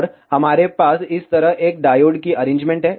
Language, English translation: Hindi, And we have a diode arrangement like this